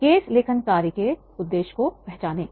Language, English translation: Hindi, Identify the purpose of the case writing task